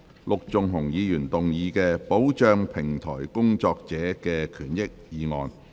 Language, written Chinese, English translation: Cantonese, 陸頌雄議員動議的"保障平台工作者的權益"議案。, Mr LUK Chung - hung will move a motion on Protecting the rights and interests of platform workers